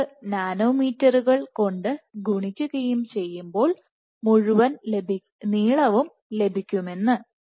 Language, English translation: Malayalam, 38 nanometers should give you the entire length